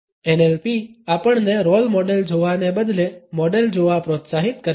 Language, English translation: Gujarati, NLP encourages us to look at models instead of looking at role models